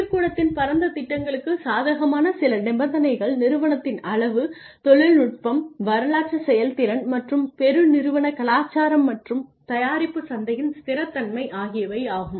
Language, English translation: Tamil, Some conditions favoring plant wide plans are firm size, technology, historical performance and corporate culture and stability of the product market